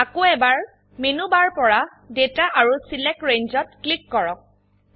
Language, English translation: Assamese, Again, from the Menu bar, click Data and Select Range